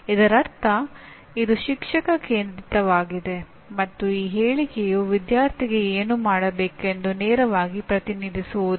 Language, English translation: Kannada, Which means it is a teacher centric and it is not this statement does not directly represent what the student should be able to do